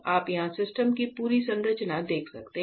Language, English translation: Hindi, So, you can see the entire structure of the system here